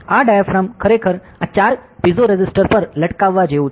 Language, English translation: Gujarati, So, this diaphragm is actually like hanging on these four piezoresistives, ok